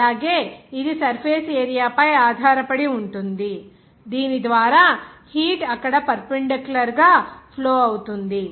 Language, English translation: Telugu, Also, it will depend on the surface area through which the heat will be perpendicularly flows there